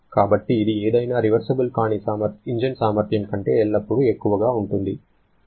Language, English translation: Telugu, So, this is always higher than the efficiency of any irreversibility engine 0